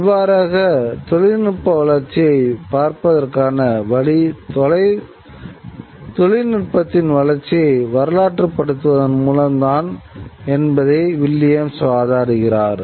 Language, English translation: Tamil, That is what Williams argues that one, the way to look at technological development is by historicizing the history of, historicizing the development of technology really